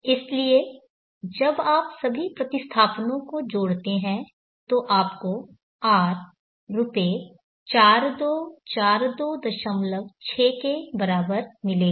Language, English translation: Hindi, So when you add all the replacements you will get R is equal to rupees 424 2